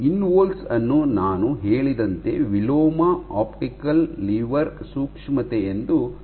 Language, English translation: Kannada, So, InVols as I said is called inverse optical lever sensitivity